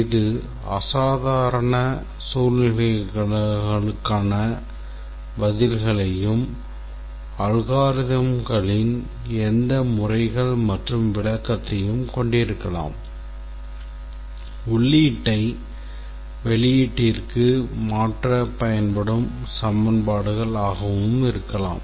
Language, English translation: Tamil, It can also contain responses to abnormal situations and also any methods or description of algorithms equations that can be used to transform the input to output